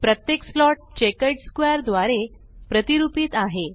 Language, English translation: Marathi, Each slot is represented by a checkered square